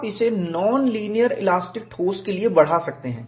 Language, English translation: Hindi, You could extend this for non linear elastic solid